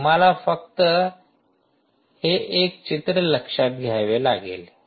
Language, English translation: Marathi, you have to just note this one picture